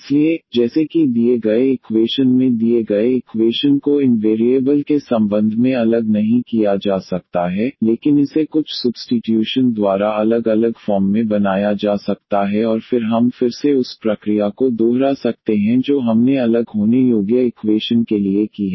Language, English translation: Hindi, So, as such in the given in the given equation may not be separated with respect to these variables, but it can be made by some substitution to separable form and then we can again repeat the process which we have done for the separable equations